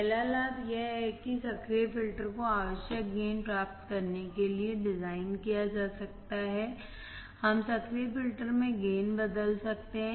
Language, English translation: Hindi, The first advantage is that active filters can be designed to provide require gain, we can change the gain in active filters